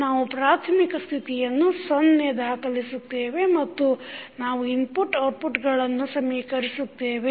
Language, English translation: Kannada, We will set the initial states to 0 and then we will equate input to output